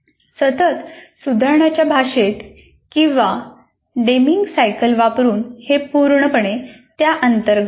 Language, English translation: Marathi, In the language of what we called it as continuous improvement or using the Deming cycle, this comes completely under that